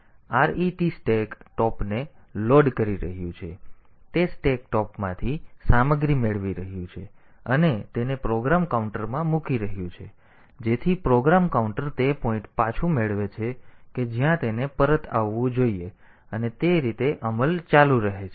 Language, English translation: Gujarati, So, ret is loading the stack top, it is getting the content from the stack top and putting it into the program counter, so that the program counter gets back the point to which it should return and execution continues that way